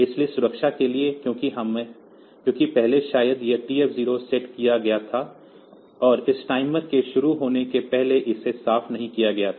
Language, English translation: Hindi, So, for the safety because previously maybe this TF 0 was set, and it was not cleared before this timer had started